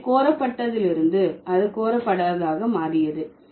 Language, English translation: Tamil, So from solicited, it became unsolicited